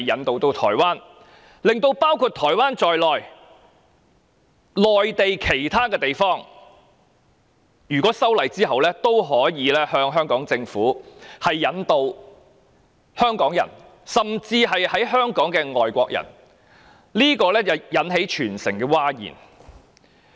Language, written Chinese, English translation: Cantonese, 但是，此項建議卻令台灣以至內地其他地方，均可按修訂後的法例向香港政府申請引渡香港人甚至身處香港的外國人，引起全城譁然。, However this has aroused a huge uproar in society because under the relevant legislative proposals applications may be made in accordance with the amended law by the relevant authorities of Taiwan and other Mainland places to the Hong Kong Government for extraditing Hong Kong people and foreigners who are physically in Hong Kong